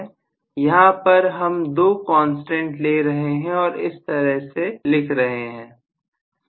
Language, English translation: Hindi, Some two constants I am taking and I can write it like this